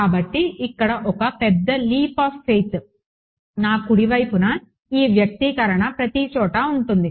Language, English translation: Telugu, So, the big leap of faith is going to be that everywhere in my right hand side this expression over here